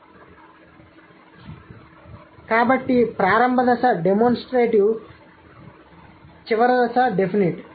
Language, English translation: Telugu, And so the initial stage is demonstrative, final stage is definite